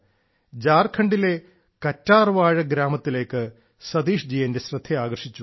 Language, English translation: Malayalam, Satish ji has drawn my attention to an Aloe Vera Village in Jharkhand